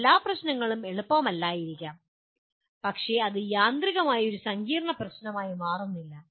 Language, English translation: Malayalam, Every problem may not be easy but it does not become a complex problem automatically